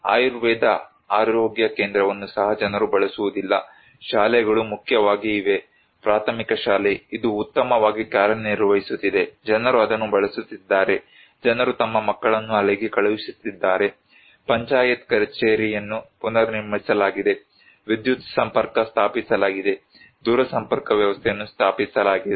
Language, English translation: Kannada, Ayurvedic health centre also, this is not used by the people, the schools are there is primarily; primary school, this is working well, people are using it, people are sending their kids there, panchayat office is rebuilt, electricity installed, telecommunication system was installed